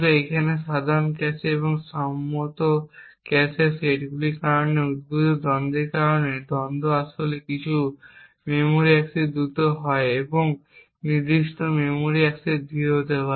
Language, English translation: Bengali, Now due to the conflicts that arise due to the common cache and the agreed upon cache sets, the conflicts may actually cause certain memory accesses to be faster and certain memory access to be slower